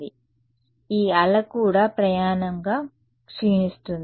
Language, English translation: Telugu, So, this wave also decay as a travels